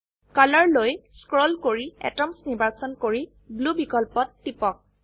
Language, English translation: Assamese, Scroll down to Color select Atoms and click on Blue option